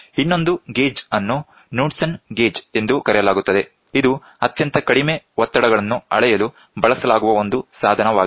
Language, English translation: Kannada, The, another one another gauge is called as Knudsen gauge, it is a device employed to measure very low pressures